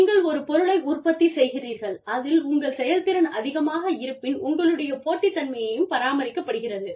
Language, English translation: Tamil, So, if you are being productive, if your efficiency is high, your competitive advantage is maintained